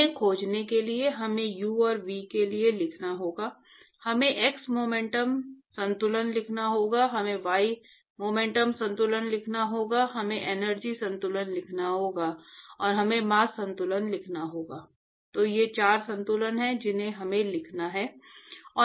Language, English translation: Hindi, So, in order to find these, we need to write for u and v, we need to write the X momentum balance, we need to write the Y momentum balance, we need to write the Energy balance and we need to write the Mass balance